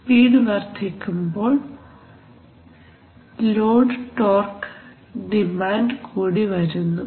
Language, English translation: Malayalam, So as the speed increases the load torque demand also increases